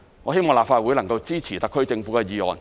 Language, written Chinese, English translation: Cantonese, 我希望立法會能夠支持特區政府的議案。, I hope the Legislative Council can support the SAR Governments motion